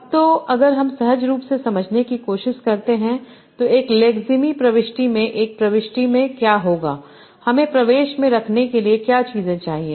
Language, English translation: Hindi, Now, so if we try to understand intuitively what would be there in an entry, in a lexime entry, what are the things that I need to keep in an entry